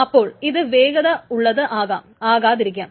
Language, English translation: Malayalam, So it may or may not be faster